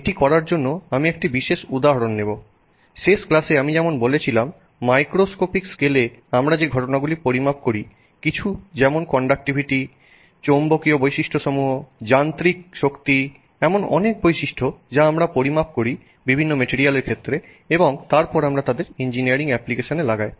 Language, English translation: Bengali, To do that I will take one particular example as I mentioned in the last class many phenomena that we measure at a macroscopic scale, you know something like conductivity, magnetic properties, mechanical strength, many, many such properties that we measure for a variety of different materials and then we put them for engineering applications